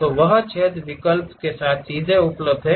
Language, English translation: Hindi, So, that hole options straight away available